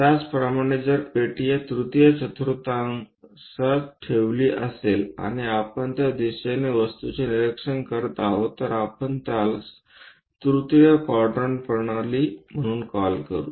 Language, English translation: Marathi, Similarly, if the block is kept in the third quadrant and we are making objects observations from that direction, we call that one as third quadrant system